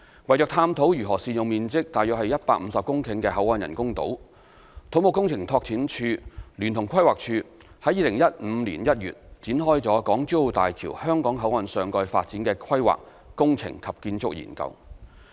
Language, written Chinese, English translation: Cantonese, 為探討如何善用面積約150公頃的口岸人工島，土木工程拓展署聯同規劃署於2015年1月展開"港珠澳大橋香港口岸上蓋發展的規劃、工程及建築研究"。, To explore the optimum utilization of the 150 - hectare BCF Island the Civil Engineering and Development Department CEDD and the Planning Department PlanD commissioned the Planning Engineering and Architectural Study for Topside Development at the Hong Kong Boundary Crossing Facilities Island of Hong Kong - Zhuhai - Macao Bridge in January 2015